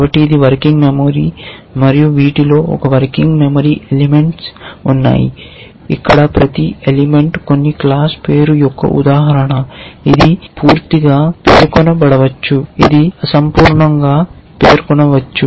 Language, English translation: Telugu, So, this is a working memory and inside these of course, there are this working memory elements where each element is an instance of some class name which maybe not completely specified, which maybe incompletely specified